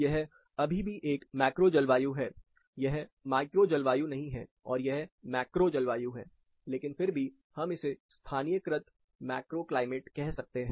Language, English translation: Hindi, This is still a macro climate, this is not micro climate, and this is macro climate, but still, we can term it as a localized macro climate